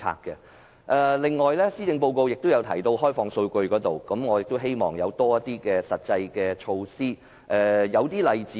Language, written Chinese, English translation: Cantonese, 此外，施政報告提到開放數據，我希望有更多實際措施。, Furthermore the Policy Address talks about opening up data . I hope that more practical measures will be taken